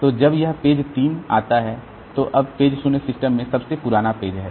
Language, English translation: Hindi, So, when this 3 comes, so page 0 came into the system oldest